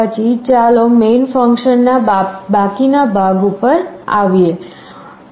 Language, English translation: Gujarati, Then let us come to the rest of the main function